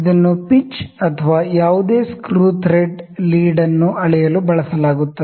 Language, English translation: Kannada, So, it is used to measure the pitch or lead of any screw thread